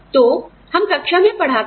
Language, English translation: Hindi, So, we teach in class